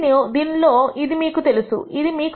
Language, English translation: Telugu, In this you know this you know this